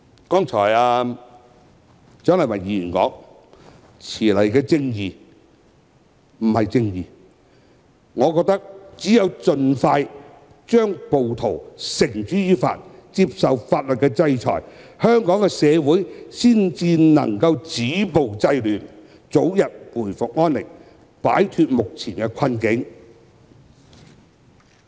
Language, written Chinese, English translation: Cantonese, 正如蔣麗芸議員剛才說："遲來的正義，不是正義"，我覺得只有盡快把暴徒繩之於法，令他們接受法律制裁，香港社會才能止暴制亂，早日回復安寧，並擺脫目前的困境。, Rightly as Dr CHIANG Lai - wan said just now justice delayed is justice denied I consider that only by bringing the rioters to justice as soon as possible such that legal sanctions can be imposed on them that can violence be stopped and disorder curbed and that peace be restored in Hong Kong society which will be freed from the current predicament